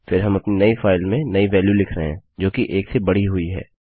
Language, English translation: Hindi, Then were writing to our new file the new value which is increment of 1